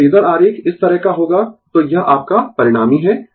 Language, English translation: Hindi, So, phasor diagram will be like this right, so this is your resultant